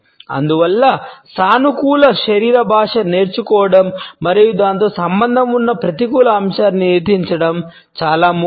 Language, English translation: Telugu, And therefore, it is important to learn positive body language and control the negative aspects associated with it